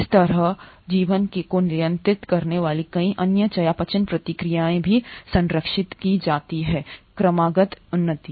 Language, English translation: Hindi, Similarly, a lot of other metabolic reactions which govern life are also conserved across evolution